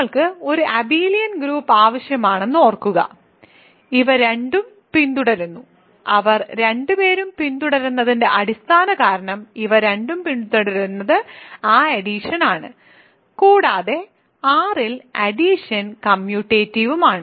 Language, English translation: Malayalam, Remember we need an abelian group ok, these both follow, the basic reason that they both follow, these both follow is that addition and is associative and commutative in R